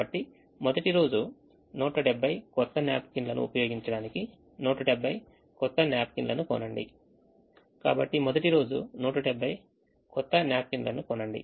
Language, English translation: Telugu, so use hundred and seventy new napkins, buy hundred and seventy new napkins on the first day